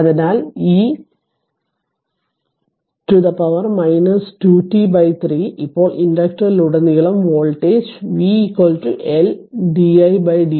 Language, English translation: Malayalam, So, it will be e to the power minus 2 t upon 3 now voltage across the inductor is v is equal to L into di by dt L is 0